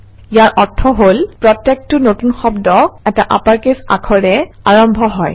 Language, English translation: Assamese, * Which means each new word begins with an upper case